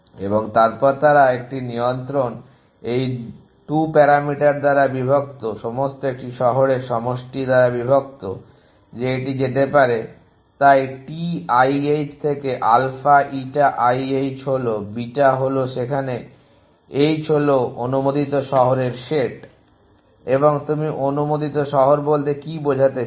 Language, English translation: Bengali, And then they a control by these 2 parameters divided by sum of all a city that it can go to so T i h is to alpha eta i h is to beta were h is the set of allowed city and what you mean by allowed cities